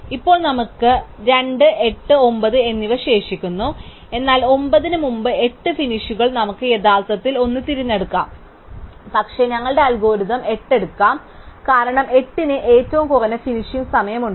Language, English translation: Malayalam, And now we have two left, 8 and 9, but 8 finishes before 9, we could actually pick either one, but our algorithm will pick 8, because 8 has the shortest finishing time